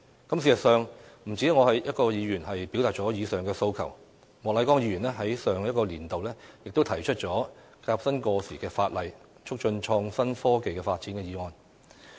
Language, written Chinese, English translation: Cantonese, 事實上，不止我一位議員表達了以上的訴求，莫乃光議員在上一個年度亦提出了"革新過時法例，促進創新科技發展"的議案。, In fact I am not the only Member who has expressed this aspiration . It is shared by Mr Charles Peter MOK who moved a motion on Reforming outdated legislation and promoting the development of innovation and technology in the last legislative session